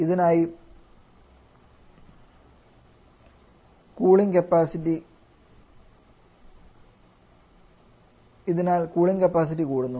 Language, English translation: Malayalam, So, we can help higher amount of cooling capacity